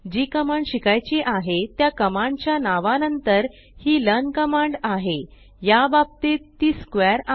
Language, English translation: Marathi, The command learn is followed by the name of the command to be learnt, in this case it is a square